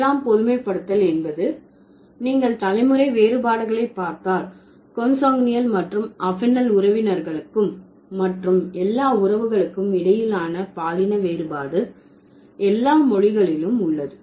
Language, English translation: Tamil, So, the seventh generalization was that there is a, there is a, if you look at the generational differences, the difference between consanguinal and affinol relatives and the sex difference of all the relatives are present in all languages